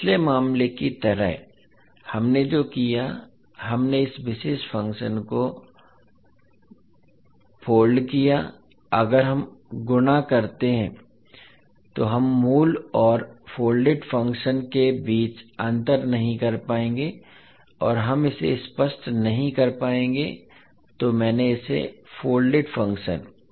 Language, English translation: Hindi, So like in the previous case what we did that we folded this particular function, if we fold we will not be able to differentiate between original and the folded function and we will not be able to explain it so that is why I folded this function